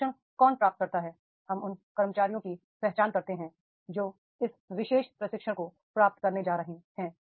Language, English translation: Hindi, We identify those employees, those who are going to receive this particular training